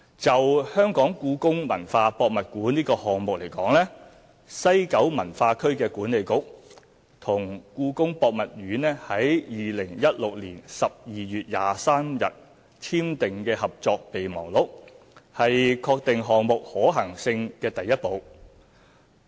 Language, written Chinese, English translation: Cantonese, 就故宮館項目而言，西九文化區管理局與故宮博物院於2016年12月23日簽訂《合作備忘錄》是確定項目可行性的第一步。, With regard to the HKPM project the signing of the Memorandum of Understanding of Cooperation MOU between the West Kowloon Cultural District Authority WKCDA and the Palace Museum on 23 December 2016 was the first step for establishing the feasibility of the project